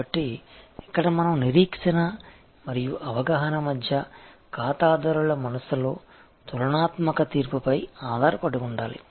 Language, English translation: Telugu, So, here we have to rely on the comparative judgment in the clients mind between expectation and perception